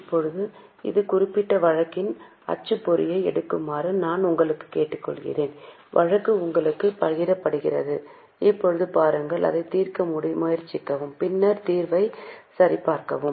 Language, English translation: Tamil, Now I will request you to take printout of this particular case, the case has been shared with you and now try to look, try to solve it and then check with the solution